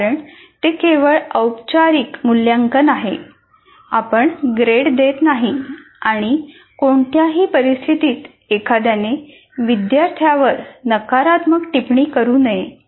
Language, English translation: Marathi, Under no circumstance, because it's only formative assessment, you are not giving grades, under no circumstance, one should negatively comment on the student